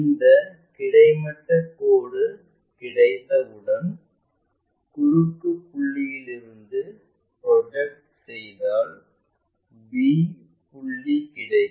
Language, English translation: Tamil, Once, we have that horizontal line the intersection point we project it to locate this b point